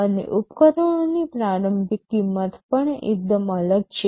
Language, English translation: Gujarati, And the initial costs of the equipments are also quite different